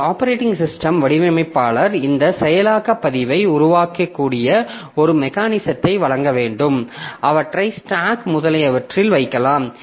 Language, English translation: Tamil, So, as an operating system designer, we have to provide a mechanism by which this compiler designer can create this activation record, put them onto stack, etc